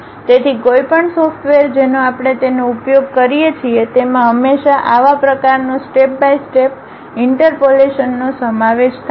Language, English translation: Gujarati, So, any software what we use it always involves such kind of step by step interpolations